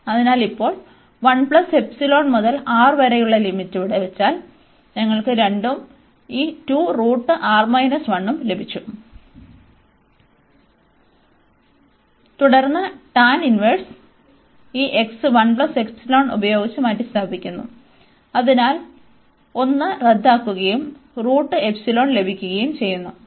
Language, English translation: Malayalam, So, and now the limit from 1 plus epsilon to R, so putting these limits here now, we got 2 and this tan inverse the square root R minus 1, and then minus this tan inverse, and this x is replaced by 1 plus epsilon, so 1 gets cancels and we get a square root of epsilon